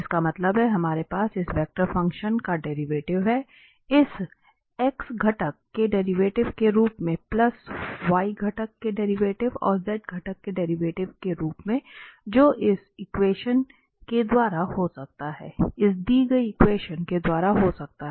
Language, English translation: Hindi, That means, we can have the derivative of this vector function as the derivative of this x component plus this derivative of y component and derivative of the z component in this form